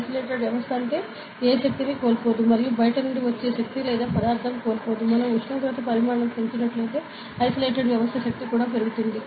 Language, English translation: Telugu, Isolated system means, in no energy is lost and no energy or matter is lost outside; then if we increase the temperature volume will increase for isolated system, ok